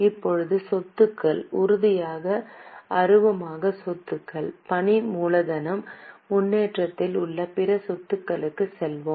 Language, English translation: Tamil, Now let us go to assets, tangible, intangible assets, capital work in progress, other assets